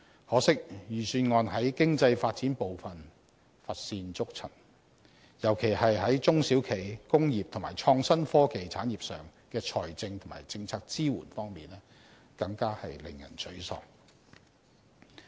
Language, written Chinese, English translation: Cantonese, 可惜，預算案在經濟發展部分乏善可陳，尤其是在中小企、工業及創新科技產業上的財政及政策支援方面更是令人沮喪。, Unfortunately in respect of economic development the Budget has nothing to write home about in particular the financial and policy support for small and medium enterprises SMEs local industries and IT . This is rather disappointing